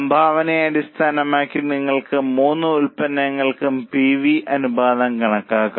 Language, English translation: Malayalam, Based on contribution you can also compute the PV ratio for all the three products